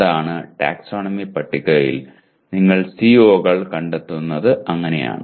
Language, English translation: Malayalam, That is what, that is how you locate the COs in taxonomy table